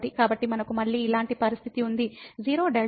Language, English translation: Telugu, So, we have a similar situation again; the 0 delta